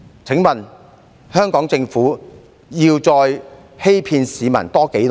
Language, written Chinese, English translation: Cantonese, 請問香港政府要再欺騙市民多久呢？, How long will the Hong Kong Government deceive the public?